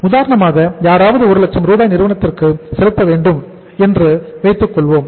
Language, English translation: Tamil, Say for example in that case say if somebody has to make the payment of 1 lakh rupees to the firm